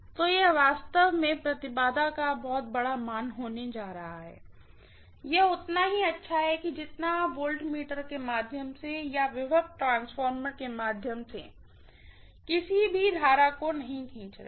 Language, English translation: Hindi, So it is going to be really, really a large impedance, it is as good as you are not drawing any current through the voltmeter or through the potential transformer